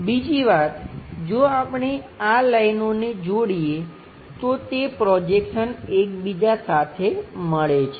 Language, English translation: Gujarati, The other thing if we are joining these lines, they will co supposed to get coincided is projection